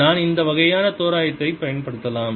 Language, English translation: Tamil, then also i can use this kind of approximation